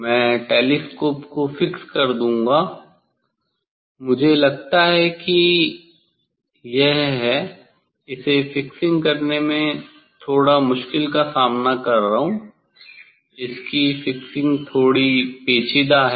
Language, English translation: Hindi, I will fix the telescope, I think it is; I am facing difficult this to slightly it is a fixing slightly tricky